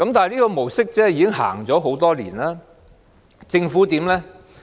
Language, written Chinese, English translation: Cantonese, 這個模式已經落實很多年，而政府怎樣呢？, This mode has been in operation for many years and what has the Government done?